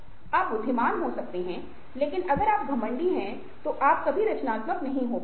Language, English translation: Hindi, you might be intelligent, but if you arrogant, then you can never be creative